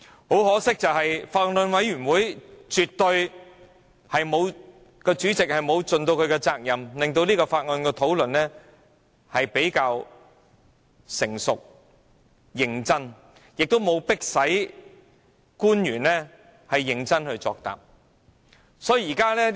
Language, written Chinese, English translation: Cantonese, 很可惜，法案委員會主席絕對沒有盡其責任，令《條例草案》的討論比較成熟、認真，亦沒有迫使官員認真作答。, Regrettably the Chairman of the Bills Committee had not performed her duties to facilitate mature and serious discussions over the Bill nor had she demanded officials to seriously give their replies